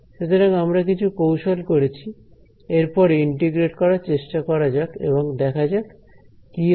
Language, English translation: Bengali, So, we have done some we were looking manipulation next let us try to integrate and see what happens ok